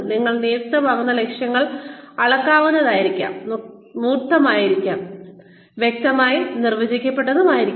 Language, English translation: Malayalam, The goals that you assign, should be measurable, should be tangible, should be clearly defined